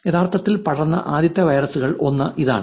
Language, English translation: Malayalam, It was one of the first virus that was actually spread